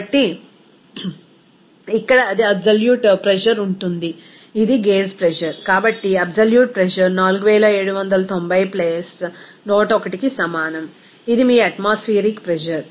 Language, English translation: Telugu, So, here it will be absolute pressure will be is equal to, this is gauge pressure, so absolute pressure will be is equal to 4790 + 101, this is your atmospheric pressure